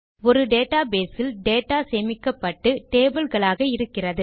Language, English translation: Tamil, A database has data stored and organized into tables